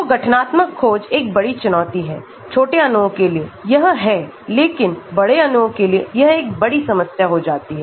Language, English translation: Hindi, So, conformational search is a big challenge for small molecules, it is but for large molecules it becomes a big problem